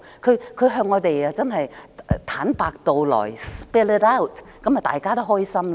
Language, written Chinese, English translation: Cantonese, 若她能向我們坦白道來，這樣大家都開心。, If she can spill it out to us everyone will be happy